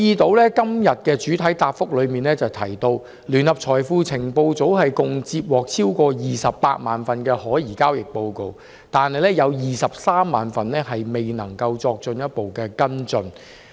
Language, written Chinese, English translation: Cantonese, 局長在這項的主體答覆中提到，聯合財富情報組共接獲超過280000宗可疑交易報告，當中238000宗未有足夠資料作進一步跟進。, The Secretary mentioned in the main reply to this question that JFIU has received more than 280 000 STRs amongst which 238 000 reports lacked sufficient information for further action